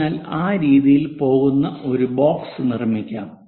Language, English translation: Malayalam, So, let us construct a box which goes in that way